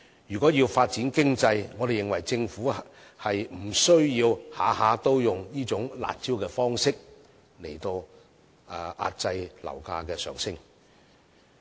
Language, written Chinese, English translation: Cantonese, 如要發展經濟，我們認為政府無須每次都以"辣招"的方式來遏抑樓價上升。, We are of the view that if we are to achieve any economic progress Government should not depend on such harsh measures to curb the rises of property prices all the time